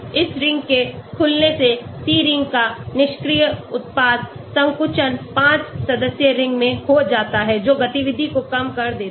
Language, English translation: Hindi, Opening of this ring gives inactive product contraction of the C ring to a 5 membered ring reduces activity